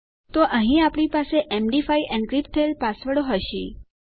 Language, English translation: Gujarati, So, here we will have our md5 encrypted passwords